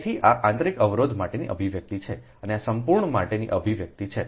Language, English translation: Gujarati, so this is the expression for internal, internal inductance and this is the expression for the total right